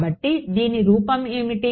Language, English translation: Telugu, So, what was the form of this